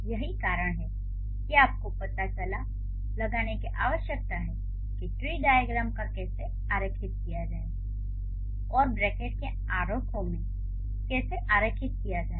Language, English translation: Hindi, So, that is how you need to find out how to draw the tree diagrams and how to draw the bracketed diagrams